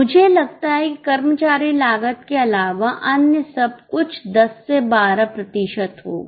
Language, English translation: Hindi, I think everything other than employee cost will be 10 to 12 percent